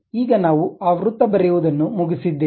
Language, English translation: Kannada, Now, we are done with that circle